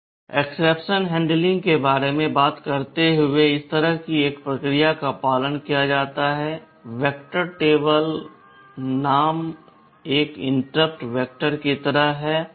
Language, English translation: Hindi, Talking about exception handling, a process like this is followed; there is an interrupt vector kind of a table called vector table